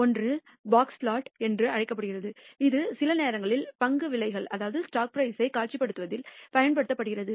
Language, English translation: Tamil, One is called the box plot, which is used most often in sometimes in visualizing stock prices